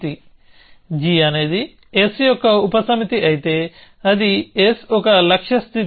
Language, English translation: Telugu, So, if g is a subset of s, then that s is a goal state